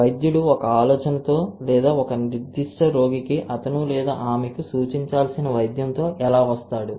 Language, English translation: Telugu, How the clinician will come up with an idea or with the intervention that which one he or she has to prescribe to for a particular patient